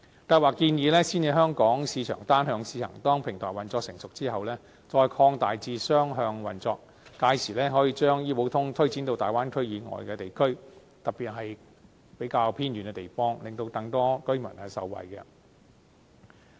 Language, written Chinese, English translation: Cantonese, 計劃建議先以香港市場單向試行，當平台運作成熟後，再擴大至雙向運作，屆時可以將醫保通推展至大灣區以外的地區，特別是比較偏遠的地方，令更多居民受惠。, It is proposed that a one - way purchase scheme be first tried out in the Hong Kong and that two - way purchase be allowed when the operation of the platform become mature . At that time the scheme can be extended beyond the Bay Area especially to places which are relatively remote so as to benefit more residents